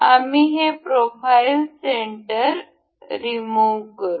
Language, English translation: Marathi, We will remove this profile center